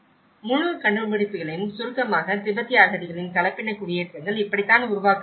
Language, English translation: Tamil, And to summarize the whole findings, this is how hybrid settlements of Tibetan refugees are produced